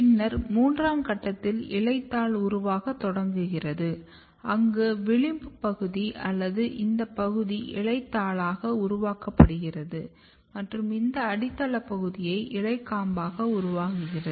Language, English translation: Tamil, And then at third stage the blade initiates where what happens the marginal region or this region is basically getting developed into the blades and the basal reasons are basically developed into the petiole